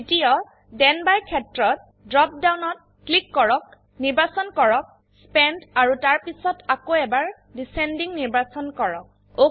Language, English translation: Assamese, In the second Then by field, click on the drop down, select Spent and then, again select Descending